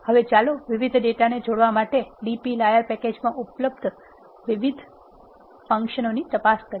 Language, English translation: Gujarati, Now, let us look deep into the different functions, that available in the dplyr package to combine 2 data frames